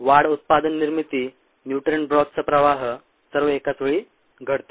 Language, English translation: Marathi, the growth, product formation, flow of nutrients, all happens, all happen simultaneously